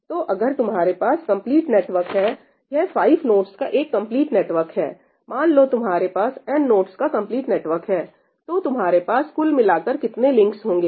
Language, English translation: Hindi, So, if you have a complete network this is a complete network of 5 nodes; so, if you have, let us say, n nodes, a complete network of n nodes, what is the total number of links you would have